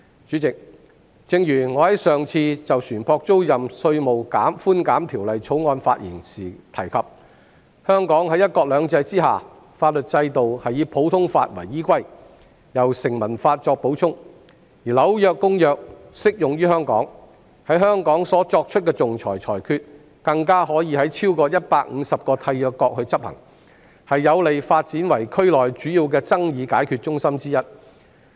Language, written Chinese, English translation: Cantonese, 主席，我上次就《2020年稅務條例草案》發言時提到，在"一國兩制"下，香港的法律制度以普通法為依歸，由成文法作補充，《紐約公約》亦適用於香港，在香港所作出的仲裁裁決，可在超過150個締約國執行，有利香港發展為區內主要爭議解決中心之一。, President when I spoke on the Inland Revenue Amendment Bill 2020 I mentioned that under one country two systems Hong Kongs legal system is based on the common law and supplemented by statutory law . As the New York Convention also applies to Hong Kong the arbitral awards made in Hong Kong are enforceable in more than 150 contracting states an advantage that is conducive to the development of Hong Kong as one of the major dispute resolution centres in the region